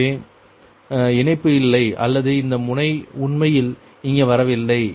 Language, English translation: Tamil, so no connectivity or this, no, actually is not coming here